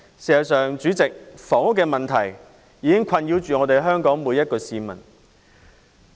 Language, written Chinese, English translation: Cantonese, 代理主席，房屋問題已經困擾香港每一位市民。, Deputy President the housing problem has been plaguing all members of the public in Hong Kong